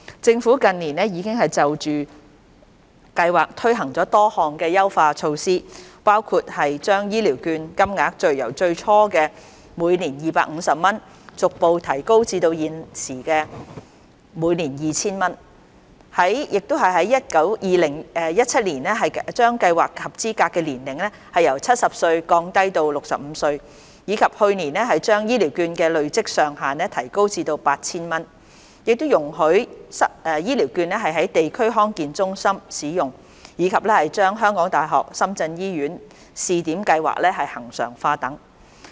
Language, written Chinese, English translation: Cantonese, 政府近年已就計劃推行了多項優化措施，包括將醫療券金額由最初的每年250元逐步提高至現行的每年 2,000 元、在2017年將計劃的合資格年齡由70歲降低至65歲，以及去年把醫療券的累積上限提高至 8,000 元，亦容許醫療券在地區康健中心使用，以及將香港大學深圳醫院試點計劃恆常化等。, The Government has implemented a number of enhancements to the Scheme in recent years including progressively increasing the annual voucher amount from the initial 250 to the current 2,000 lowering the eligibility age from 70 to 65 in 2017 as well as raising the accumulation limit of the vouchers to 8,000 allowing the use of the vouchers at District Health Centres DHCs and regularizing the Pilot Scheme at the University of Hong Kong - Shenzhen Hospital HKU - SZH etc last year